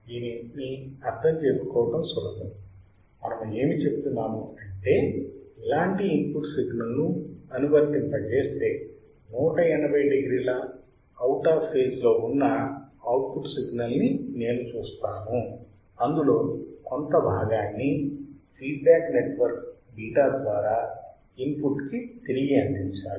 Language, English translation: Telugu, It is very easy to understand what is saying is that if I apply input signal which is like this if I see output signal which is 180 degree out of phase, I have to I have to provide a part of the output signal back to the input through my feedback network beta